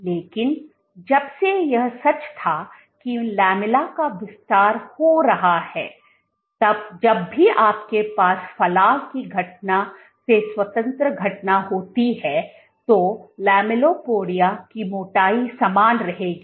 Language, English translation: Hindi, But since if this was true that the lamella is expanding then whenever you have a protrusion event independent of the protrusion event the thickness of the lamellipodia will remain the same